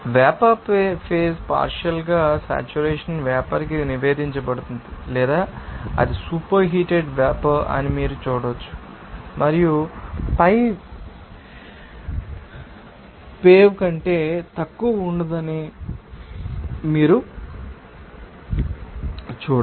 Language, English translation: Telugu, Then the vapor phase is report to a partially saturated vapor or you can see that it will be super heated vapor and then you can see that pi will be no less than piv